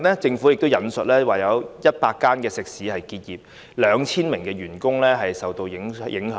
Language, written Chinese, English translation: Cantonese, 政府最近引述有100間食肆結業 ，2,000 名員工受到影響。, Recently the Government has relayed that 100 restaurants have been closed down with 2 000 employees being affected